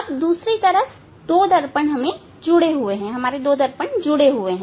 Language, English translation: Hindi, Now other side two mirror is attached to the two mirrors are there